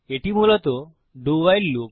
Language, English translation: Bengali, That is basically the DO WHILE loop